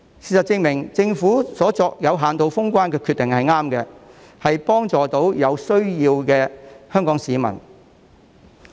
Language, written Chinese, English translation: Cantonese, 事實證明，政府有限度封關的決定是正確的，可以幫助到有需要的香港市民。, Facts have proven that it is a correct decision for the Government to close the border partially which can help those Hong Kong people in need